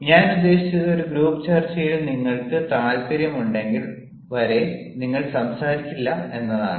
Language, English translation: Malayalam, i mean, the question is, unless and until you are interested in a group discussion, you will not speak